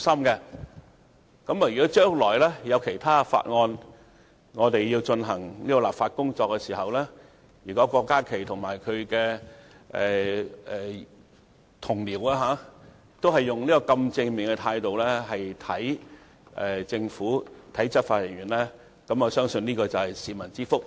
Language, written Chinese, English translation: Cantonese, 將來如果在其他法案進行立法工作的時候，郭家麒議員及其同僚也能用這種正面的態度來對待政府及執法人員，我相信會是市民之福。, It will bring benefits to the people if Dr KWOK Ka - ki and his colleagues could adopt the same positive attitude towards the Government and law enforcement officers when enacting other bills in the future